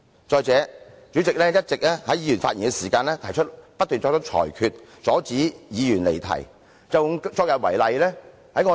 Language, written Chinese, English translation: Cantonese, 再者，主席在議員發言期間會不斷作出裁決，阻止議員離題。, Moreover the President may keep making rulings to stop a Member from digressing while the Member is speaking